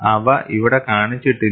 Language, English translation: Malayalam, That is mentioned here